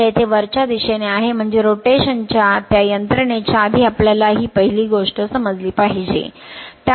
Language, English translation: Marathi, So, here it is upward, so that that is the first thing this thing you have to understand before that mechanism of rotation